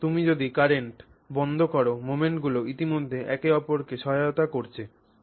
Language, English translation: Bengali, So now when you switch off the, the moments are already now assisting each other